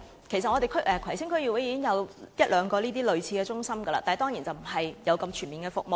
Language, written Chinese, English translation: Cantonese, 其實葵青區已經有一兩間類似的中心，但當然服務沒有這麼全面。, In fact there are already a couple of similar centres in Kwai Tsing District but certainly their services are not as comprehensive